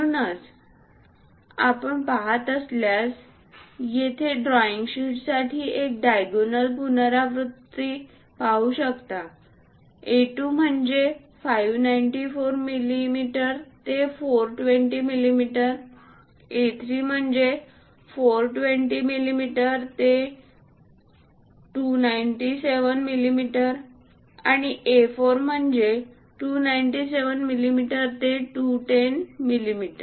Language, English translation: Marathi, So, if you are seeing, there is a diagonal repetition we can see for this drawing sheets; A2 594 to 420, A3 420 to 297, and A4 297 to 210